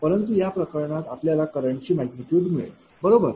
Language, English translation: Marathi, But in this case, you will get the magnitude of current, right